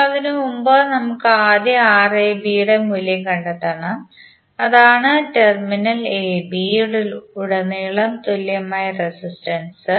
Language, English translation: Malayalam, Now before that we have to first find out the value of Rab, that is equivalent resistance across terminal AB